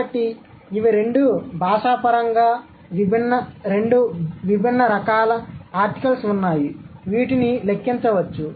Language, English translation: Telugu, So these are two, now did you notice there are two different types of articles cross linguistically which can be accounted for